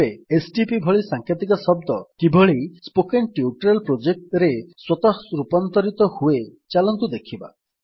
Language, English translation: Odia, So let us see how an abbreviation like stp gets automatically converted to Spoken Tutorial Project